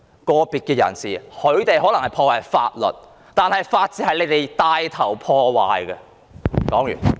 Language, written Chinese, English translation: Cantonese, 個別人士可能破壞了法律，法治卻是由執法者帶頭破壞的。, Some individuals might have broken the law but the rule of law was ruined under the lead of law enforcement officers